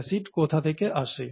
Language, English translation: Bengali, Where does the acid come from